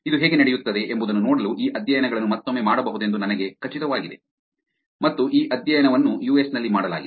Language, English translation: Kannada, I am pretty sure these studies can be done again to see how it goes and this study was done in the US